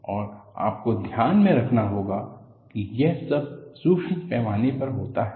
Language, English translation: Hindi, So, what you will have to look at is, all of these happen at a microscopic level